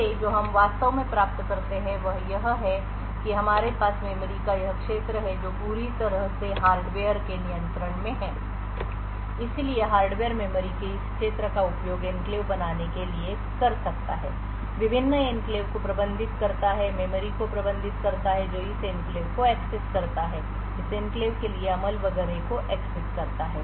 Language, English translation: Hindi, From this what we actually achieve is that we have this region of memory which is completely in the control of the hardware so the hardware could use this region of memory to create enclaves, managed the various enclaves, manage the memory who accesses this enclaves the read write execute permissions for this enclaves and so on